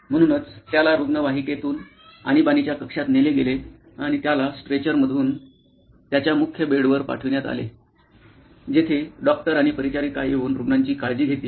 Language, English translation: Marathi, So, he was wheeled in from the ambulance into the emergency room and he was transferred from the stretcher, the bed on to their main bed where the doctors and the attendants would come and take care of the patient